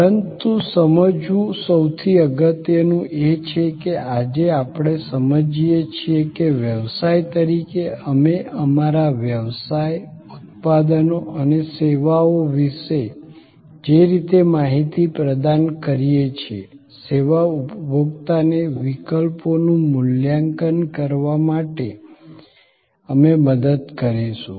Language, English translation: Gujarati, But, most important to understand is that, today we understand that as businesses, the way we provide information about our business, products and services, the way we will help, the service consumer to evaluate alternatives